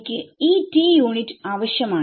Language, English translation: Malayalam, So, I need this unit t